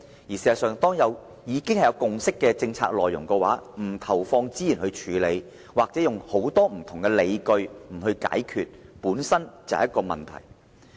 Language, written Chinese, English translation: Cantonese, 事實上，對於已有共識的政策，政府不投放資源來處理，或以很多不同的理由來不處理，本身便是一個問題。, In fact for policies over which a consensus has been reached it is a problem if the Government has not allocated resources for follow - up or made various excuses for not taking actions